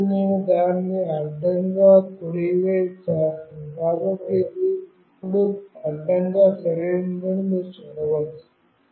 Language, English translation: Telugu, And now I will make it horizontally right, so you can see that it is now horizontally right